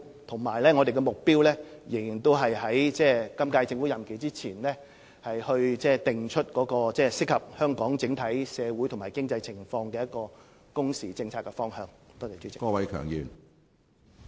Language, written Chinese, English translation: Cantonese, 我們的目標仍然是在本屆政府任期完結前，訂定適合香港整體社會及經濟情況的工時政策方向。, It is still our objective to map out within the current term the working hours policy direction that suits Hong Kongs overall socio - economic situation